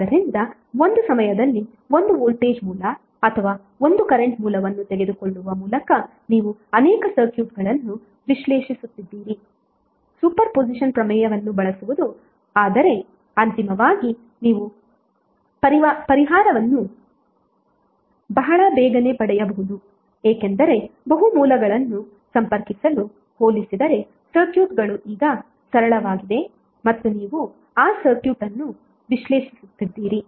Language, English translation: Kannada, So using super position theorem all though you are analyzing multiple circuits by taking 1 voltage source or 1 current source on at a time but eventually you may get the solution very early because the circuits are now simpler as compare to having the multiple sources connected and you are analyzing that circuit